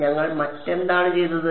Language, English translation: Malayalam, What else did we do